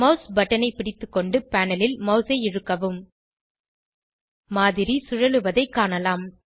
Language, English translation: Tamil, Holding down the mouse button, drag the mouse on the panel You can see the model is rotating